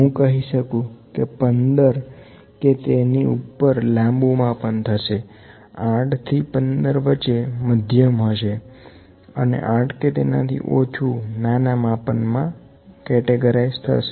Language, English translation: Gujarati, I can say from 15 and above it is long, that is 15 and above 8 is medium, 8 cm and less than 8 is small